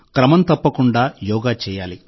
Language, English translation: Telugu, You should do Yoga regularly